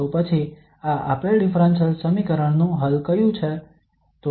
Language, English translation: Gujarati, Then which one is the solution of this given differential equation